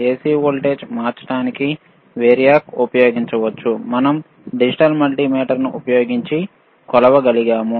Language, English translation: Telugu, Variac can be used to change the AC voltage, which we were able to measure using the digital multimeter